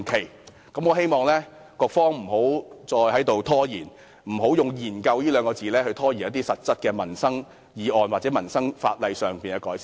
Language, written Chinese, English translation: Cantonese, 因此，我希望局方不要再拖延，以"研究"二字拖延一些實質的民生議案或民生法例的改善。, Hence I hope the Bureau will not procrastinate anymore and stop deferring specific livelihood issues or improvements of legislation concerning peoples livelihood under the pretext of conducting studies